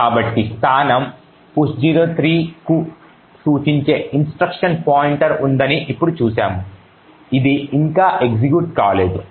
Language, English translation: Telugu, So, now we have seen that there is the instruction pointer pointing to this location push 03 which has not yet been executed